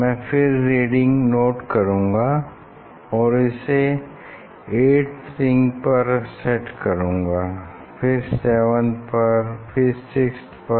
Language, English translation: Hindi, again, I have to note down the reading then go to the 8 set at 8 set at 7 6